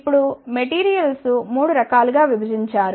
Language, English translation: Telugu, Now, the materials are divided into 3 types